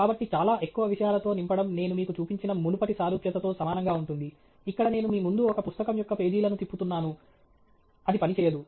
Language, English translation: Telugu, So, just filling it with too much material is very similar to the previous analogy I showed you, where I am just flashing the pages of a book in front of you; it does not work